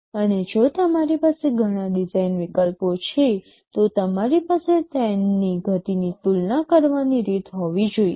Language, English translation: Gujarati, And if you have several design alternatives, you should have a way to compare their speeds